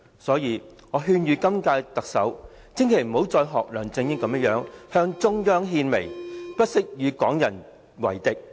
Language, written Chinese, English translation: Cantonese, 所以，我勸諭今屆特首，千萬不要再像梁振英般向中央獻媚，不惜與港人為敵。, So I urge the incumbent Chief Executive never to curry favour with the Central Authorities like LEUNG Chun - ying did and never to go so far as to offend the Hong Kong public